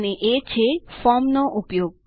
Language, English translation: Gujarati, And that, is by using Forms